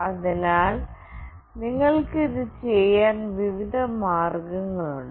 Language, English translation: Malayalam, So, there are variety of ways you can do it